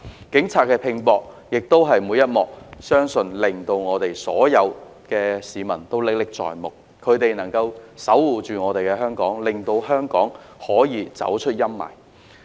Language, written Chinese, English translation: Cantonese, 警方拚搏做事的每一幕，相信所有市民都歷歷在目，是他們守護着香港，令香港可以走出陰霾。, I am sure all people in Hong Kong can vividly remember every moment when the Police fought hard to protect our city and they are the guardian angels that led Hong Kong out of the gloom